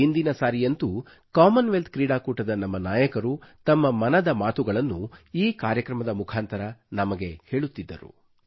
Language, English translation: Kannada, And in the last episode, our heroes of the Commonwealth Games shared with us their 'Mann Ki Baat', matters close to their hearts through this programme